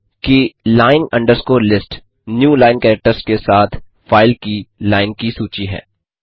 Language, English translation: Hindi, Notice that line list is a list of the lines in the file, along with the newline characters